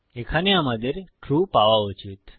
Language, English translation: Bengali, Here we should get True